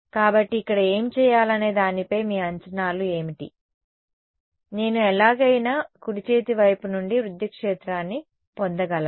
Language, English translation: Telugu, So, what is your guesses as to what to do over here can I get a electric field from in the right hand side somehow